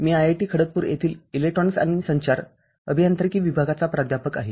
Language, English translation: Marathi, I am a Professor of Electronics and Communication Engineering Department, IIT Kharagpur